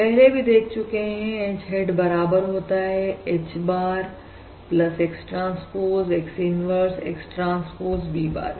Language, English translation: Hindi, H hat equals H bar plus X transpose X inverse, X transpose V bar